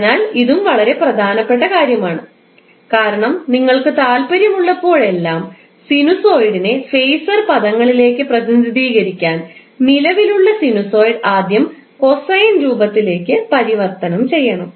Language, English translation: Malayalam, So, this is also very important point because whenever you want to present phaser in present sinusoid in phaser terms, it has to be first converted into cosine form